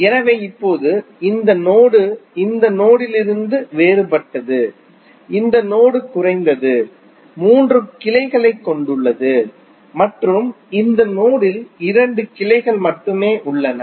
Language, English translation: Tamil, So, now this node is different from this node in the sense that this node contains at least three branches and this node contains only two branches